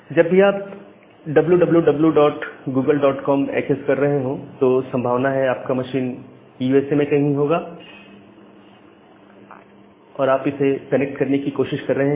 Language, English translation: Hindi, Say, whenever you are accessing dub dub dub dot google dot com your google machine is possibly residing somewhere in USA and you are trying to connect it